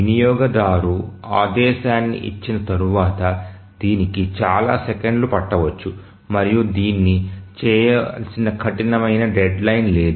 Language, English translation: Telugu, Once the user gives the command it may take several seconds and there is no hard deadline by which it needs to do it